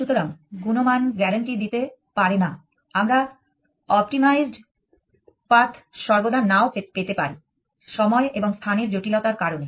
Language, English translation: Bengali, So, quality is not guarantee we do not necessarily get an optimized path now as to time and space complexity